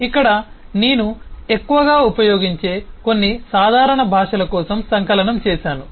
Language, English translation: Telugu, so here I have compiled eh for some of the common languages which are mostly people use